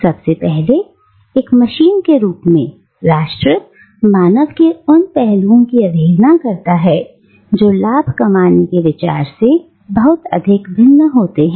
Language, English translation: Hindi, Firstly, nation as a machine disregards the aspects of human being which are superfluous to the idea of profit making